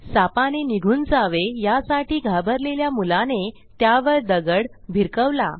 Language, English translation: Marathi, The scared boy tries to shoo away the snake by throwing a stone